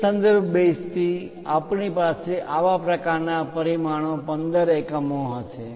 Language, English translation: Gujarati, From that reference base we are going to have such kind of dimension, 15 units